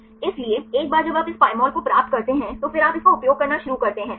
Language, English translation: Hindi, So, once you get this Pymol, right and then you start to use it